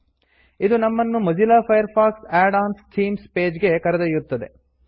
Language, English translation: Kannada, This takes us to the Themes page for Mozilla Firefox Add ons